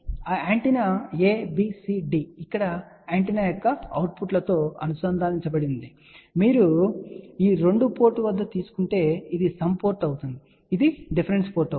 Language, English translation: Telugu, So, that antenna ABCD are connected over here the outputs of the antenna, and here you can see that if you take input at these 2 port, this will be the sum port this will be the difference port